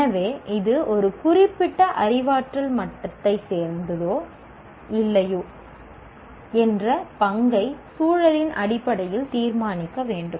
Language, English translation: Tamil, So the role of whether it belongs to a particular cognitive level or not should be decided based on the context